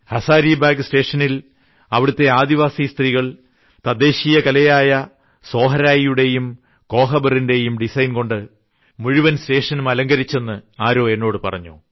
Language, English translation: Malayalam, Someone told me that the tribal women have decrorated the Hazaribagh station with the local Sohrai and Kohbar Art design